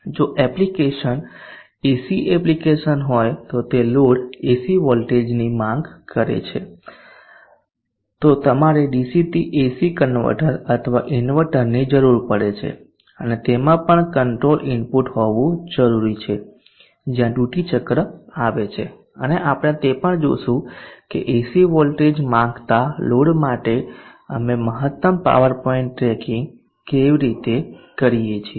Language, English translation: Gujarati, If the application is an AC application that is the load demands an AC voltage then you need to use a DC to AC converter or an inverter and that also needs to have a control input which is also duty cycle and we will see that also how we go about doing maximum power point tracking for a load that demands AC voltage